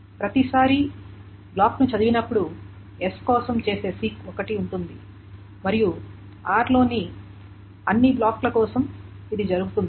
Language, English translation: Telugu, So every time block is being red, there is one 6 that is done for S and this is being done for all the blocks in R